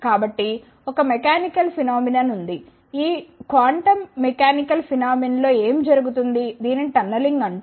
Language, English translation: Telugu, So, there is a mechanical phenomenon which takes place this quantum mechanical [flonla/phenomena] is phenomena is called as the tunneling